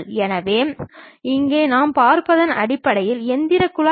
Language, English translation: Tamil, So, here what we are seeing is, basically the engine duct